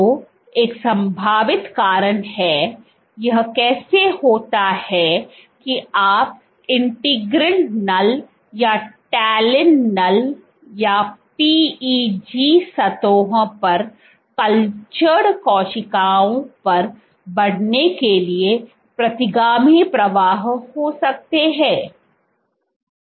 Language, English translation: Hindi, So, one possible reason is, so how is it that you can have retrograde flow to increase in integrin null or talin null or on cells cultured on PEG surfaces